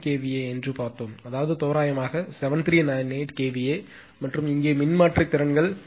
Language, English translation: Tamil, 9 kVA; that means, 7 roughly 7398 kVA and here that are transformer capabilities 7200 kVA